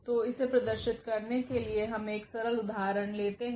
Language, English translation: Hindi, So, just to demonstrate this we have taken the simple example here